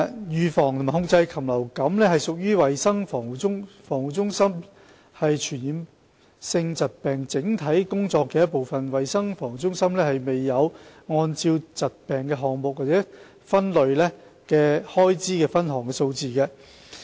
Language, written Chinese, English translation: Cantonese, 預防和控制禽流感屬衞生防護中心防控傳染性疾病整體工作的一部分，衞生防護中心並沒有按疾病或項目劃分的開支分項數字。, As the prevention and control of avian influenza is an integral part of the overall work of CHP in preventing and controlling communicable diseases CHP does not have a breakdown of the expenditure by disease or category